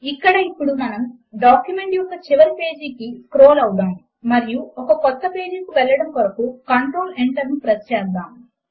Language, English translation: Telugu, Now let us scroll to the last page of the document and press Control Enter to go to a new page